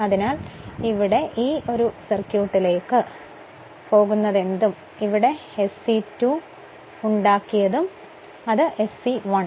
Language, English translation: Malayalam, So, that is why whatever we we have made it here whatever we have made it here I am going to this circuit, whatever we made it here SE 2 then it is ultimately it is SE 1 easily you can make it right